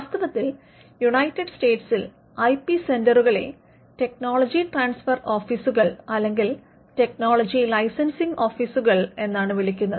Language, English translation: Malayalam, In fact, in the United States the IP centers are called technology transfer offices or technology licensing offices